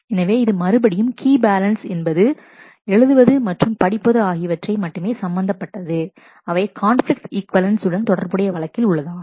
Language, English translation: Tamil, So, this is again and the key balance is based purely on read write alone as is the case of conflict equivalence also